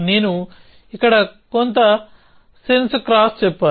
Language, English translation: Telugu, So, I should say here some sense cross